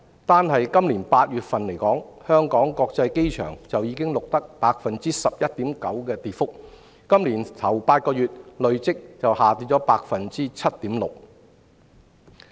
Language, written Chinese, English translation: Cantonese, 單就今年8月份而言，香港國際機場已錄得 11.9% 的跌幅，今年首8個月則累跌 7.6%。, The amount of freight processed by the Hong Kong International Airport dropped 11.9 % in August alone year on year and was down 7.6 % so far in the first eight months this year